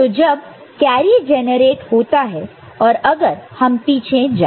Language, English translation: Hindi, So, when carry is generated then if you go back